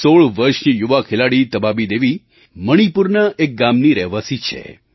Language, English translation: Gujarati, 16 year old player Tabaabi Devi hails from a village in Manipur